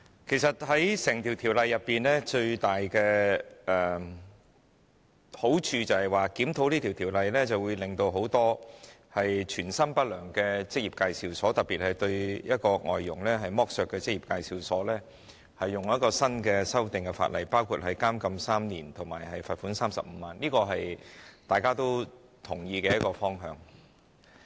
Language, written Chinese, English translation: Cantonese, 其實，整項條例草案最大的好處是，檢討這項條例會對很多存心不良的職業介紹所，特別是剝削外傭的職業介紹所，按新修訂的法例作出處罰，包括監禁3年及罰款35萬元，這是大家均同意的方向。, In fact the biggest merit of the entire Bill is that with a review of the Employment Ordinance many ill - intentioned employment agencies especially those exploiting the foreign domestic helpers will be punished according to the amended ordinance which includes imprisonment for three years and a fine of 350,000 and this is a direction agreed by us all